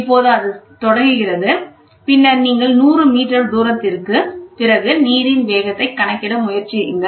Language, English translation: Tamil, Now it starts, and then you take for after 100 meter the velocity of the water